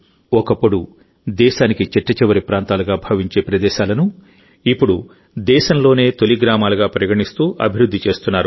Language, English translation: Telugu, The areas which were once considered as the last point of the land are now being developed considering them as the first villages of the country